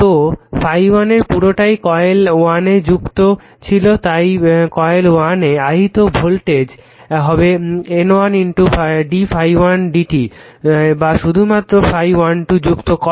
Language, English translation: Bengali, So, whole phi 1 linking the coil 1 so voltage v 1 inducing coil 1 will be N 1 into d phi 1 upon d t or only flux phi 1 2 links coil 2